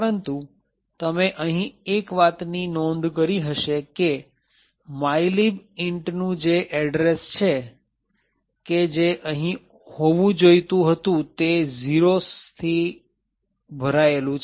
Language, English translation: Gujarati, But, one thing you will notice over here is that the address for mylib int which was supposed to be over here is filled with zeros